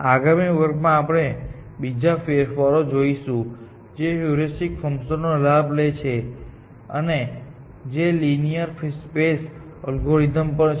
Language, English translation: Gujarati, In the next class, we will look at another variation, which exploits the heuristic function, and which is also linear space algorithm